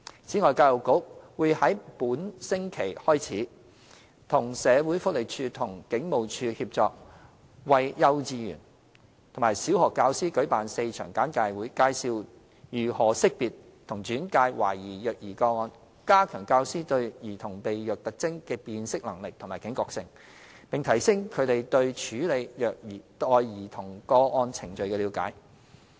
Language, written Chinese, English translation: Cantonese, 此外，教育局會在本星期開始，與社署和警務處協作，為幼稚園和小學教師舉辦4場簡介會，介紹如何識別和轉介懷疑虐兒個案，加強教師對兒童被虐特徵的辨識能力及警覺性，並提升他們對處理虐待兒童個案程序的了解。, Besides starting from this week the Education Bureau will jointly organize four briefings with SWD and the Police for teachers of all kindergartens and primary schools in the territory . The briefings will introduce how to identify and make referrals of the suspected child abuse cases so as to strengthen teachers ability to identify the symptoms of child abuse raise their sensitivity as well as enhance their understanding of the handling procedures